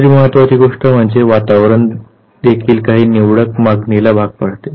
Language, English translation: Marathi, The second important thing that environment also exerts certain selective demand